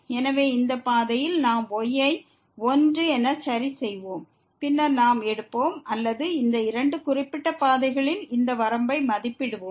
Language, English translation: Tamil, So, along this path we will fix as 1 and then, we will take or we will evaluate this limit along these two particular paths